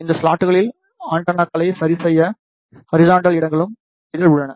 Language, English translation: Tamil, It also contains the horizontal slots to fix the antennas in these slots